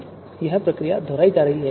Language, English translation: Hindi, Now this process is going to be repeated